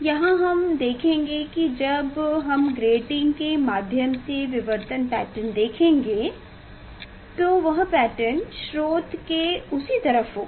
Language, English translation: Hindi, here we will see when we will see the diffraction pattern through the grating, then that pattern will observe on the on the same side of the source